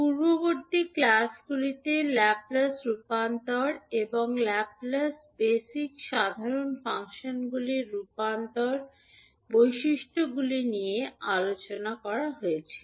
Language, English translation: Bengali, Now, properties of the Laplace transform and the Laplace transform of basic common functions were discussed in the previous classes